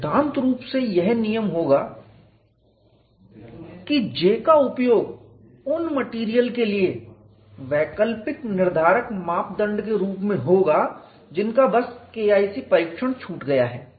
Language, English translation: Hindi, In principle this would rule out the use of J as an alternative characterizing parameter for materials that just miss the K 1 c test